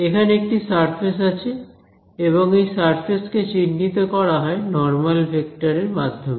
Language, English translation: Bengali, And it is a surface; so surface is going to be characterized by some normal vector over here ok